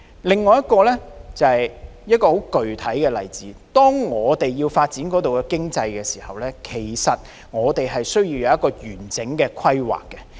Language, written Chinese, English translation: Cantonese, 另一個具體例子是，當要發展一個地方的經濟時，我們需要有完整的規劃。, There is another specific example . While developing the economy of a place we need to have a holistic plan